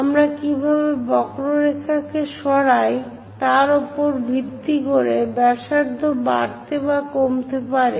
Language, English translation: Bengali, Radius can increase, decrease based on how we are going to move this curve